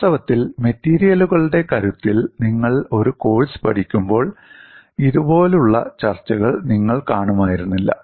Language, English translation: Malayalam, In fact, when you are learning a course in strength of materials, you would not have come across discussions like this